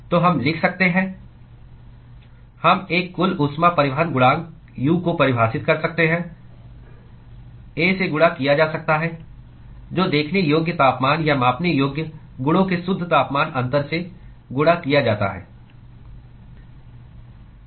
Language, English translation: Hindi, So, we could write, we could define an overall heat transport coefficient U, multiplied by A, multiplied by the net temperature difference of the observable temperatures or measurable properties